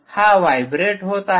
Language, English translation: Marathi, it is vibrating ah